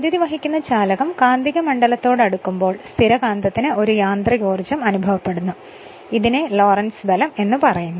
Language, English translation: Malayalam, And because the current carrying conductor lies in the magnetic field of the permanent magnet it experiences a mechanical force that is called Lorentz force